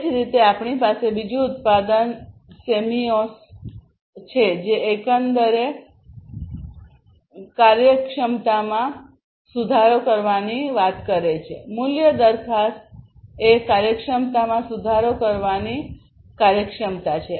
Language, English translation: Gujarati, Similarly, we have the other product the Semios, which basically talks about improving the efficiency overall, the value proposition is efficiency in improving the efficiency